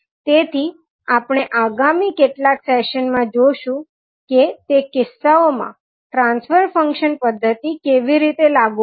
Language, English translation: Gujarati, So, we will see in next few sessions that the, how will apply transfer function method in those cases